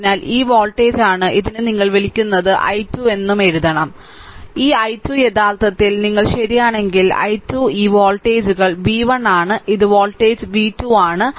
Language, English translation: Malayalam, So, this this voltage this your what you call that i 2 and i 3 we have to write and i 1 also So, this ah this just hold on so, this i 2 actually if you right i 2 this voltages is v 1 this voltage is v 2